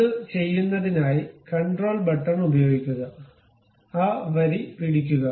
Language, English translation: Malayalam, So, once it is done, use control button, hold that line